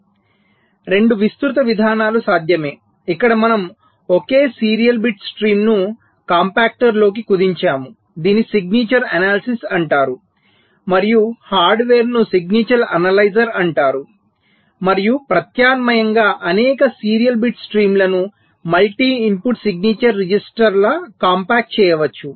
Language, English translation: Telugu, so two broad approaches are possible: one where we compact a single serial bit stream into a compactor this is called signature analysis and the hardware is called signature analyzer and as an alternative, several serial bit streams can be compacted like